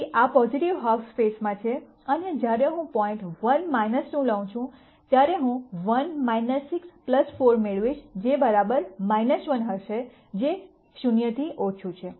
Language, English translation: Gujarati, So, this is on in the positive half space and when I take the point 1 minus 2 then I am going to get 1 minus 6 plus 4 which is going to be equal to minus 1 less than 0